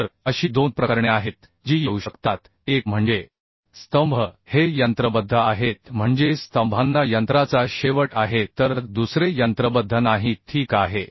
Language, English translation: Marathi, So there are two cases it may come one is the columns are machined means columns have machined ends another is not machined ok